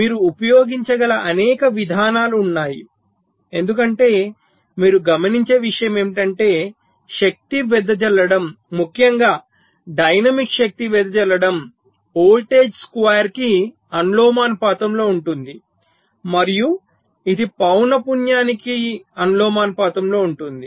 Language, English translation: Telugu, you can, because the the point you note, that is, that the power dissipation, particularly the dynamic power dissipation, is proportional the to this square of the voltage and it is proportional to the frequency